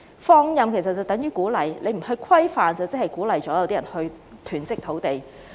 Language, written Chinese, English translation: Cantonese, 放任等於鼓勵，政府不規範便是鼓勵部分人囤積土地。, An absence of regulation by the Government is an endorsement of land hoarding by some people